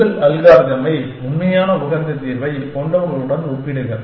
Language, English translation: Tamil, And compare your algorithm with one of those with the actual optimal solution